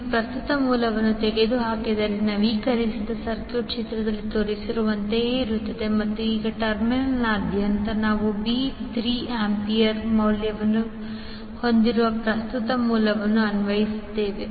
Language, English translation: Kannada, If you remove the current source the updated circuit will be like shown in the figure and now, across terminal a b we apply a current source having value 3 ampere